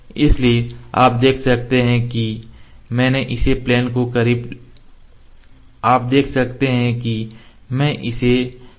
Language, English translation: Hindi, So, you can see I have just brought it close to the plane